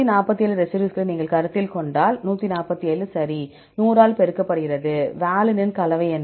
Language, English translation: Tamil, 147 right if you consider 147 residues, multiplied by 100; what is the composition of valine